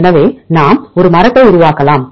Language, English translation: Tamil, So, we can construct a tree